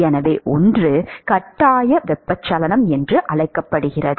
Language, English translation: Tamil, So, one is called the forced convection